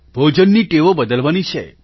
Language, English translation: Gujarati, The food habits have to change